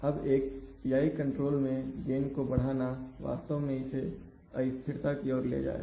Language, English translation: Hindi, Now increase the gain in a PI control will actually take it closer to instability